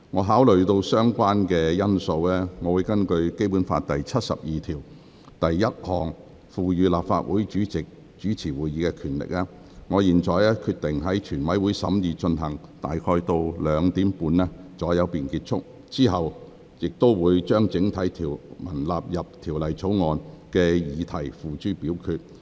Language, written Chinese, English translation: Cantonese, 考慮到所有相關因素，並根據《基本法》第七十二條第一項賦予立法會主席主持會議的權力，我現在決定，全體委員會審議階段進行至下午2時30分左右便結束，之後會將整體條文納入《條例草案》的議題付諸表決。, Having considered all relevant factors and by virtue of the power granted by Article 721 of the Basic Law to the Legislative Council President to preside over meetings I now decide that the Committee stage shall last until around 2col30 pm and thereupon the question of the relevant clauses collectively standing part of the Bill will be put to the vote